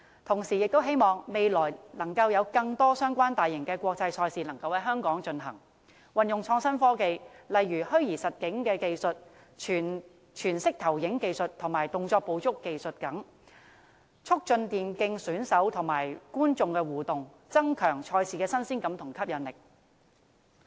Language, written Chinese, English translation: Cantonese, 同時，我亦希望未來有更多相關大型國際賽事能夠在香港舉行，運用創新科技，例如虛擬實境、全息投影及動作捕捉等技術，促進電競選手與觀眾的互動，增強賽事的新鮮感和吸引力。, I also hope that more similar mega international tournaments will be held in Hong Kong in the future . With the application of innovative technology such as virtual reality holographic display and motion capture interaction between the gamers and the audience can be enhanced . This will create a sense of novelty and increase the attractiveness of the tournament